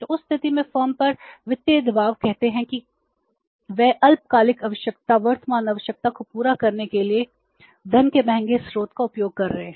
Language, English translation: Hindi, So, so in that case, in that case it is a financial pressure on the firm that they are using the expensive source of funds to meet their short term requirements, their current requirements